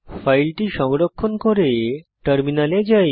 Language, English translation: Bengali, Save the file and switch to terminal